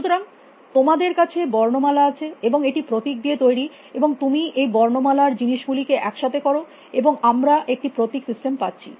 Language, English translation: Bengali, So, you have alphabet, which is made of symbols and then you put together things of alphabet and he have a symbol system